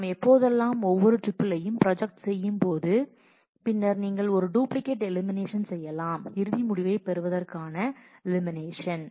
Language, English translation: Tamil, If whenever we are doing projection we can project on each tuple and then you can perform a duplicate elimination to actually get to the final result